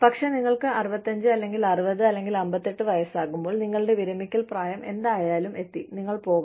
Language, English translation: Malayalam, But then, when we are 65, or 60, or 58, whatever, your retirement age, you is, you go